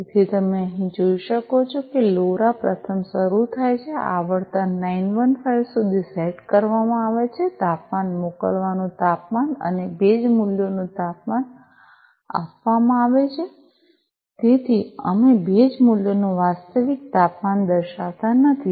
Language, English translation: Gujarati, So, as you can see over here LoRa is initialized first, frequency set up to 915, temperature sending temperature and humidity values temperature is given so because you know so we are not showing the actual temperature of the humidity values